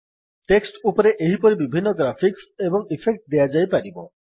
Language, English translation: Odia, Similarly, various such effects and graphics can be given to the text